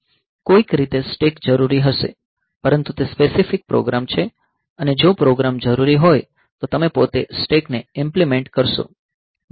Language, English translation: Gujarati, So, somehow the stack will be necessary, but that is program specific and the program are if needed will be you implementing the stack himself ok